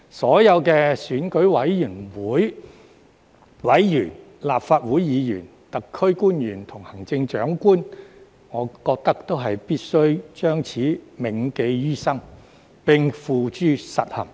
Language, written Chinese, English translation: Cantonese, 所有選委會委員、立法會議員、特區官員及行政長官，我覺得都必須將此銘記於心，並付諸實行。, I think that all EC members Members of the Legislative Council SAR officials and the Chief Executive must take this to heart and put this into action